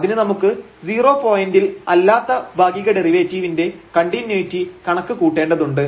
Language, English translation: Malayalam, So, we need to compute the continuity of the partial derivative at non 0 point